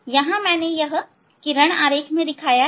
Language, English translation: Hindi, here is the diagram ray diagram I have shown